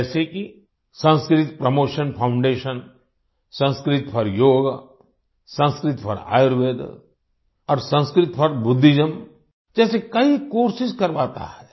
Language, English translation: Hindi, Such as Sanskrit Promotion foundation runs many courses like Sanskrit for Yog, Sanskrit for Ayurveda and Sanskrit for Buddhism